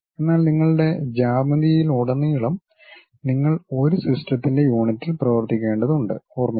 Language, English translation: Malayalam, But throughout your geometry remember that you have to work on one system of units